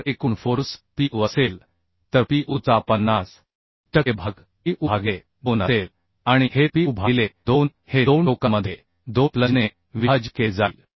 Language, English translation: Marathi, If total force is Pu then 50 per cent of Pu will be Pu by 2 and this Pu by 2 will be divided by 2 flanges in two ends so it will be finally half of Pu by 2 that means Pu by 4